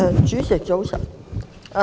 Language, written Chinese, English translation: Cantonese, 主席，早晨。, President good morning